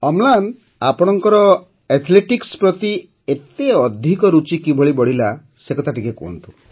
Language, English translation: Odia, Amlan, tell me how you developed so much of interest in athletics